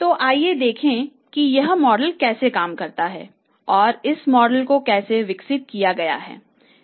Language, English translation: Hindi, So, how this model is working and how this model has been developed, let's see that how this model works first of all